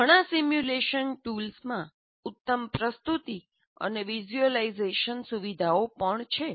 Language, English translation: Gujarati, Many simulation tools have good presentation and visualization features as well